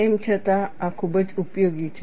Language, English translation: Gujarati, Nevertheless, this is very useful